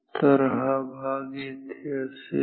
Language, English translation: Marathi, So, this part will be here